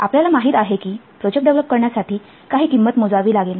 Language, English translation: Marathi, You know that development of the project will incur some cost